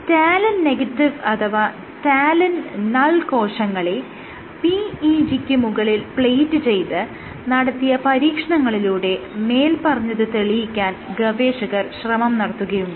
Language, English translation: Malayalam, So, this they proved by doing experiments with talin negative cells, talin null cells and by plating cells on PEG